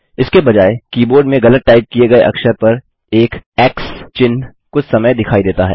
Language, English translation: Hindi, Instead an X mark briefly appears on the mistyped character on the keyboard